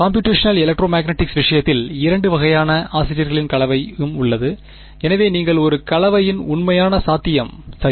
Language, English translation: Tamil, And in are in the case of computational electromagnetic, there is a mix of both kind of authors so you it is a genuine possibility of a mix up ok